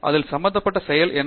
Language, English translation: Tamil, And what is the process involved in this